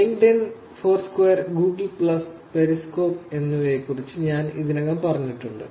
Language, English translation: Malayalam, I already said about LinkedIn, Foursquare, Google Plus, Periscope